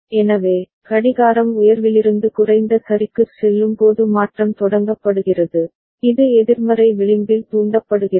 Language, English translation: Tamil, So, the change is initiated when clock is going from high to low ok, it is negative edge triggered